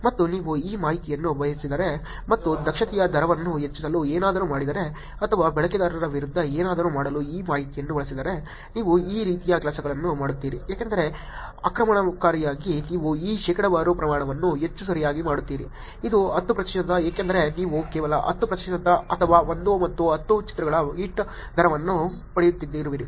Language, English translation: Kannada, And if you were make use of this information and do something to increase the rate of the efficiency or use this information to do something against the user what kind of things would you do Because as an attacker you making one this percentage to be more right, because it is 10 percent you're getting a hit rate of only 10 percent, or 1 and 10 pictures